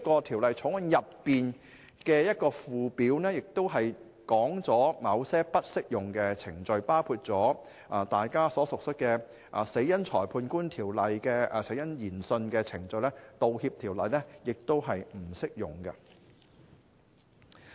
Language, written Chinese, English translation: Cantonese, 《條例草案》的附表亦列出了某些不適用的程序，包括大家所熟悉，根據《死因裁判官條例》進行的死因研訊程序，《條例草案》亦不適用。, The Schedule to the Bill also sets out some proceedings that are not applicable proceedings . For example the death inquiry procedures under the Coroners Ordinance which we are all familiar with are not covered by the Bill